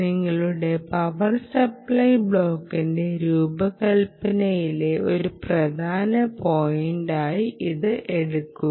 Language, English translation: Malayalam, take this as a very important point in the design of your power supply block